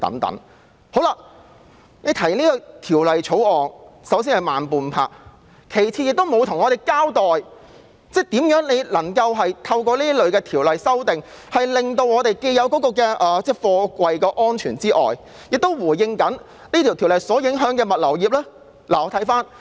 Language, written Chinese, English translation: Cantonese, 首先，政府提出《條例草案》已慢半拍；其次，政府沒有向我們交代，如何透過修訂這類條例，既能達到貨櫃安全，又能回應條例所影響的物流業的需要。, Firstly the Government has been slow in introducing the Bill . Secondly the Government has not explained to us how the amendment can ensure the safety of containers and at the same time address the needs of the logistics industry affected by the ordinance